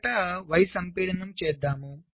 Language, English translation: Telugu, first lets do y compaction